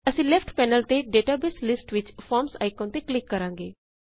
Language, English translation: Punjabi, We will click on the Forms icon in the database list on the left panel